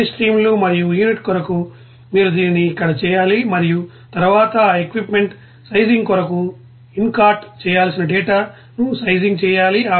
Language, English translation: Telugu, For all the streams and unit is that you have to do this here and then sizing data to be incorporated for that equipment sizing